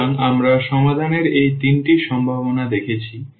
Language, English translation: Bengali, So, we have see in these 3 possibilities of the solution